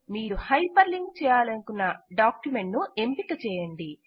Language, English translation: Telugu, Select the document which you want to hyper link